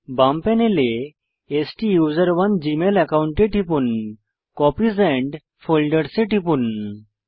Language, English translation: Bengali, From the left panel, click on the STUSERONE gmail account and click Copies and Folders